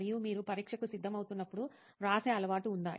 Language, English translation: Telugu, And do you have the habit of writing while you are preparing for exam